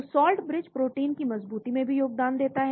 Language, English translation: Hindi, So salt bridges also contribute to the stability of protein